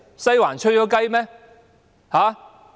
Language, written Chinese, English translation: Cantonese, "'西環'吹雞"嗎？, Did the Western District blow the whistle?